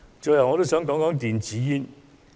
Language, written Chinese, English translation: Cantonese, 最後，我想談談電子煙。, Finally I wish to talk about electronic cigarettes